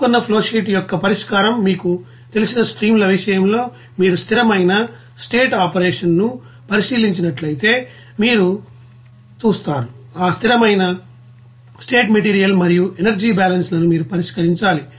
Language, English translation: Telugu, The solution of those you know specified flowsheet you know streams in that case you will see if you are considering steady state operation then you have to solve that steady state material and energy balances of that processes